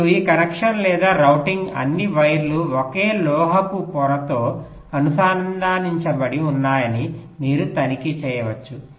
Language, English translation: Telugu, now another thing: you can also check that this connection, or the routing, is such that all the wires are connected on the same metal layer